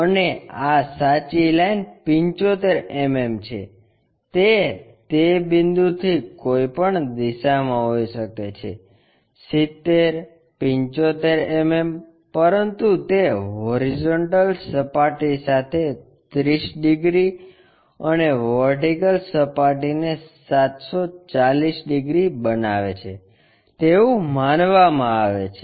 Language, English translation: Gujarati, And, this true line 75 mm, it can be in any direction from that point a 70 75 mm, but it is supposed to make thirty degrees to horizontal plane and 740 degrees to vertical plane